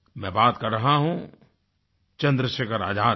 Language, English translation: Hindi, I am talking about none other than Chandrasekhar Azad